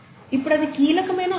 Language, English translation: Telugu, Now this is a crucial point